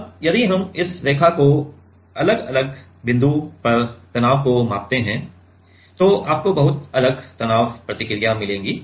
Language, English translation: Hindi, Now, if we measure the stress at different different point in on this line then you will get very different stress response